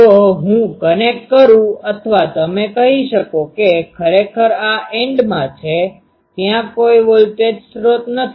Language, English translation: Gujarati, So, if I connect or you can say that actually in this end, there is no voltage source